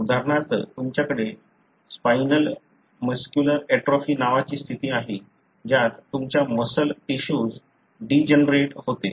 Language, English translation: Marathi, For example you have a condition called spinal muscular atrophy, wherein your muscle tissues degenerate